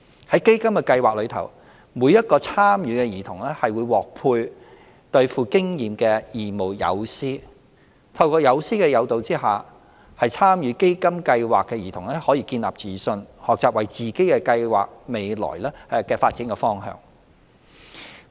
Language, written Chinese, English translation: Cantonese, 在基金計劃下，每名參與的兒童會獲配對富經驗的義務友師，透過友師的誘導下，參與基金計劃的兒童可以建立自信，學習為自己計劃未來的發展路向。, Each child participating in a CDF project will be matched with an experienced volunteer mentor . With mentors guidance participating children can build up self - confidence and learn to map out their future development paths